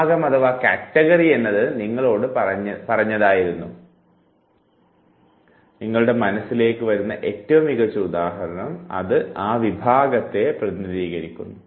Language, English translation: Malayalam, The category is told to you and the best example that come to your mind that represents that very category